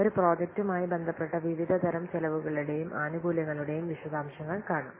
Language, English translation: Malayalam, So we'll see the details of the different types of the cost and benefits associated with a project